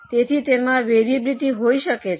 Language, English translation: Gujarati, So, it may have a variability